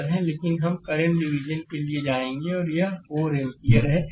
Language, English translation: Hindi, But we will go for current division and this is 4 ampere